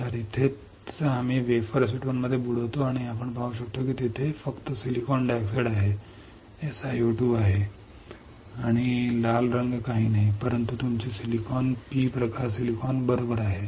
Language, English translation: Marathi, So, this is where we dip the wafer in acetone, and we can see there is only silicon dioxide this is SiO 2 and the red colour is nothing, but your silicon P type silicon right